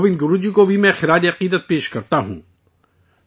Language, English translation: Urdu, I also pay my tribute to Govind Guru Ji